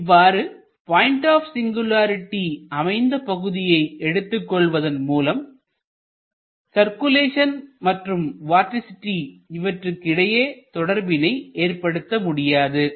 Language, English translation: Tamil, So, you cannot take an element which contains the point of singularity to establish the relationship between the circulation and the vorticity